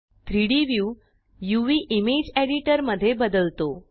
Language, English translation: Marathi, The 3D view has changed to the UV/Image editor